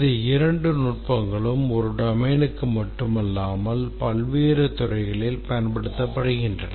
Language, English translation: Tamil, Both the techniques are not specific to this domain they are used across various other disciplines